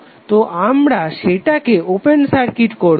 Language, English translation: Bengali, So we will simply make it open circuit